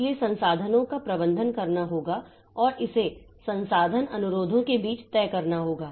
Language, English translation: Hindi, So, it has to manage the resources and it has to decide between this resource request